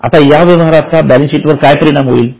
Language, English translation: Marathi, Now, what will be the impact on balance sheet